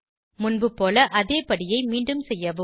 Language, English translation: Tamil, Repeat the same step as before